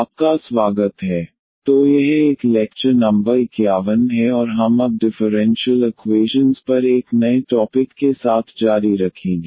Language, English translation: Hindi, Welcome back so this is a lecture number 51 and we will now continue with a new topic now on differential equations